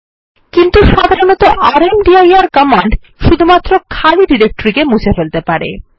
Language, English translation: Bengali, But rmdir command normally deletes a directory only then it is empty